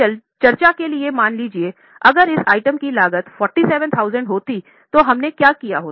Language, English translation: Hindi, Now suppose just for discussion if the cost of this item would have been 40,000, what we would have done